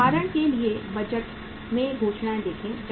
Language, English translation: Hindi, See for example the the announcements in the budgets